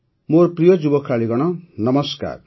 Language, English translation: Odia, Namaskar my dear young players